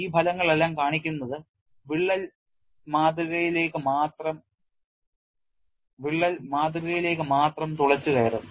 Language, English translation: Malayalam, All this result show the crack will penetrate only into the specimen